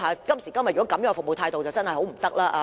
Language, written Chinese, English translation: Cantonese, 今時今日這樣的服務態度，真的不行。, Such kind of service attitude is really unacceptable today